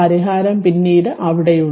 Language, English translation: Malayalam, So, solution is there in there later right